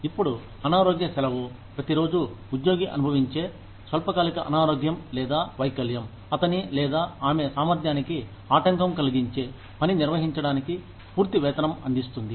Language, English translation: Telugu, Now, sick leave provides full pay, for each day, that an employee experiences, a short term illness, or disability, that interferes with his or her ability, to perform the job